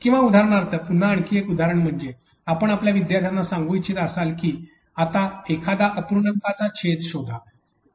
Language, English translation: Marathi, Or for example, again another example could be you want to tell your students now is time now to find a denominator